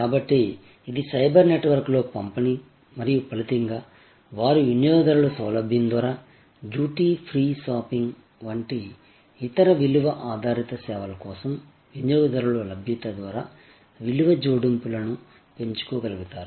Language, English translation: Telugu, So, it is distribution over the cyber network and as a result, they are able to increase the value adds by way of consumer convenience, by way of consumer availability for other value added services like duty free shopping, etc